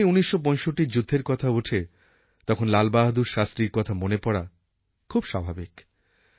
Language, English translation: Bengali, And whenever we talk of the 65 war it is natural that we remember Lal Bahadur Shastri